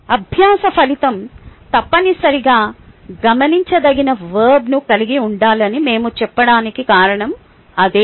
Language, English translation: Telugu, thats a reason why we say that learning outcome ah must contain an observable verb